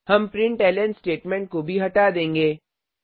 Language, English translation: Hindi, We will also remove the println statements